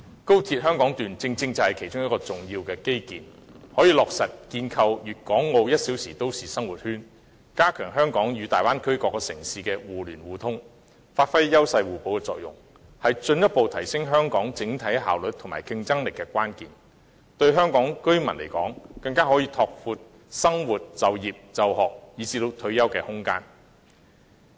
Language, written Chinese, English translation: Cantonese, 高鐵香港段正是其中一項重要基建，可以落實建構粵港澳 "1 小時生活圈"，加強香港與大灣區各城市的互聯互通，發揮優勢互補的作用，是進一步提升香港整體效率及競爭力的關鍵，更可以拓闊香港居民生活、就業、就學以至退休的空間。, The Hong Kong Section of XRL is one of the infrastructures essential to the construction of a one - hour life circle among Guangdong Hong Kong and Macao which will strengthen interconnection among Hong Kong and various cities in the Bay Area foster complementarity and further enhance the overall efficiency and competitiveness of Hong Kong as well as expand Hong Kong residents living space in terms of their livelihood work studies and retirement